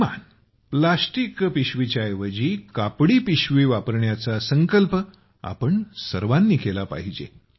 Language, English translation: Marathi, At least we all should take a pledge to replace plastic bags with cloth bags